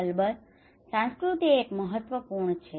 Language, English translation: Gujarati, Of course culture is an important